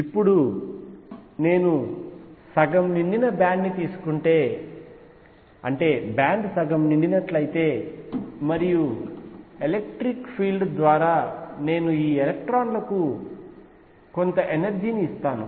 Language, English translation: Telugu, Now if I take a half filled band if the band is half filled and I give some energy to these electrons by a pi electric field